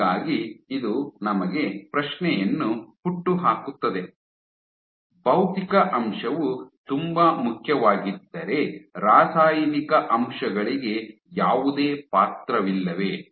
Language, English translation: Kannada, So, this raises the question, so if physical factor is so important does chemical factors not come into the play